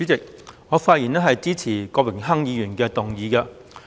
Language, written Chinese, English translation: Cantonese, 主席，我發言支持郭榮鏗議員的議案。, President I rise to speak in support of Mr Dennis KWOKs motion